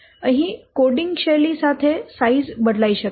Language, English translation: Gujarati, Size can vary with coding style